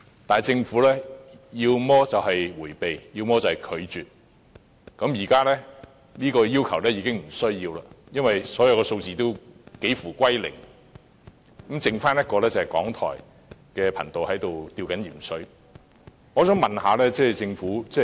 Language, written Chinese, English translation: Cantonese, 可是，政府要麼是迴避，要麼便是拒絕，現在已沒有需要提出這個要求，因為所有數字都幾乎歸零，剩餘港台的頻道正在"吊鹽水"。, However the Government either avoided or refused my request . There is no need to make this request now because all of these figures will drop to almost zero and the remaining RTHK DAB channels have been put on saline drips